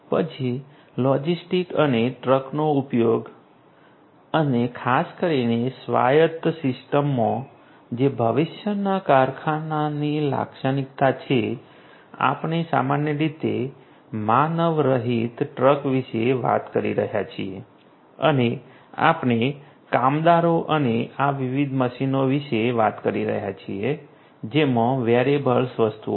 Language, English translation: Gujarati, Then use of logistics and trucks and particularly in an autonomous system which is a characteristic of the factory of the future we are typically talking about unmanned, unmanned trucks and we are talking about workers and these different machines which have wearables